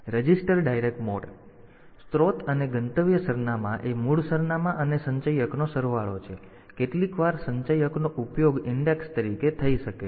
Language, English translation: Gujarati, Then we have got this register indirect mode; the source and destination addresses, the sum of the base address and the accumulator some accumulator can be used as an index